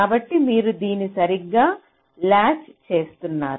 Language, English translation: Telugu, so you are correctly latching it here